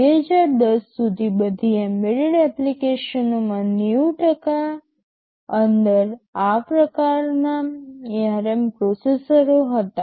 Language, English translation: Gujarati, Till 2010, 90 percent % of all serious embedded applications hads this kind of ARM processors inside them